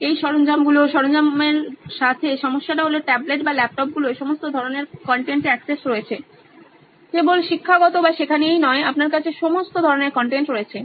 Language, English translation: Bengali, The problem with these tools, your tablets or your laptops is that you have all kinds of access to all kinds of content not just educational or learning, you have all kinds of content